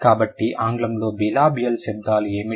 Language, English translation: Telugu, So, what are the bilibial sounds in English